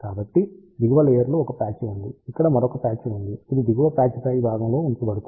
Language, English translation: Telugu, So, there is a one patch at the bottom layer there is a another patch which is put on the top of the bottom patch over here